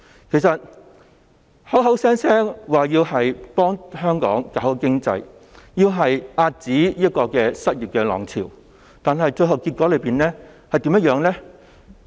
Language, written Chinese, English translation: Cantonese, 其實......他們口口聲聲說要幫香港搞好經濟、遏止失業浪潮，但最後結果怎樣？, Actually They have often said that it is necessary to improve the economy for Hong Kong and curb the tide of unemployment but what have they done in the end?